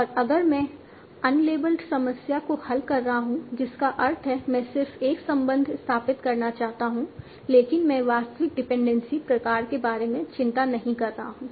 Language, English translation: Hindi, And if I am solving an unlabeled problem, that means I just want to establish a relation but I am not concerned with the actual dependency type